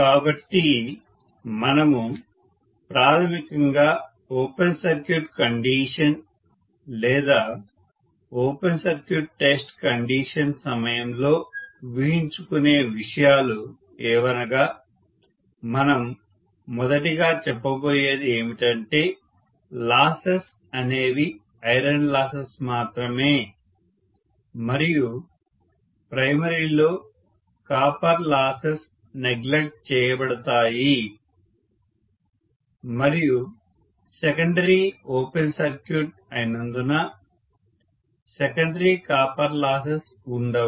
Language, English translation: Telugu, So we make basically the assumptions during open circuit condition or open circuit test condition is first thing we are going to say is that the losses are only iron losses and copper losses in the primary are neglected, and of course there is no secondary copper loss at all because secondary is open circuited